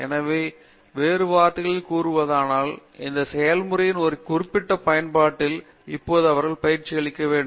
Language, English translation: Tamil, So, in other words, tomorrow if they are trained right now in one particular application of this process